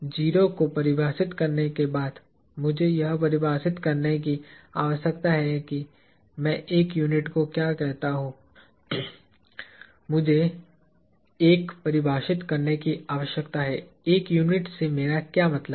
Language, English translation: Hindi, After I define a 0, I need to define what I call one unit; I need to define a 1; what I mean by 1 unit